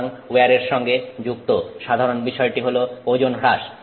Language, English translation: Bengali, So, the general aspect associated with wear is weight loss